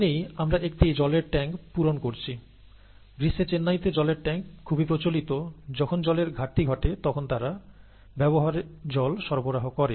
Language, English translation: Bengali, Let us say that we are filling a water tank; water tanks are quite common in Chennai in summer, they provide water for use when water scarcity sets in